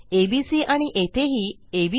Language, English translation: Marathi, This will be abc and abc